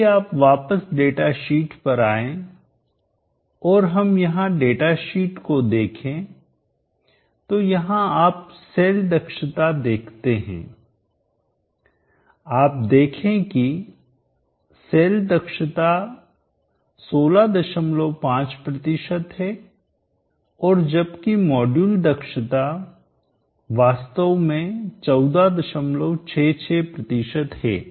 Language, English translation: Hindi, If you come back to the datasheet and we will look at the data sheet here you have the cell efficiency and you see the cell efficiency is 16